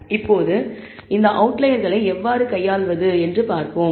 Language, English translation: Tamil, Now, let us see how to handle these outliers